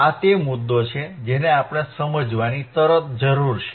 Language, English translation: Gujarati, That is the point that we need to understand